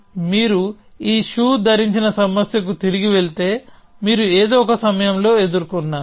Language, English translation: Telugu, So, if you go back to this shoe wearing problem which no doubt you have encountered at some point